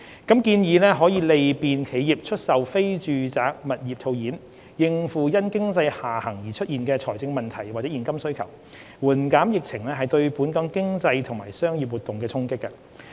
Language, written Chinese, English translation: Cantonese, 建議可利便企業出售非住宅物業套現，應付因經濟下行而出現的財政問題或現金需求，緩減疫情對本港經濟及商業活動的衝擊。, The proposal can facilitate selling of non - residential property by businesses that are encountering financial predicament or liquidity needs because of the economic downturn mitigating the impact of the pandemic on Hong Kongs economy and business activities